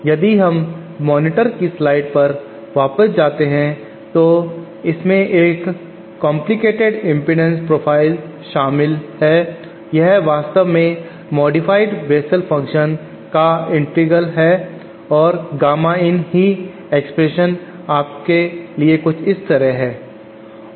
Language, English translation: Hindi, If we go back on the slides of monitor it again involves a complicated impedance profile, it is actually the integral of modified Bessel function and the expression for Gamma in you get is something like this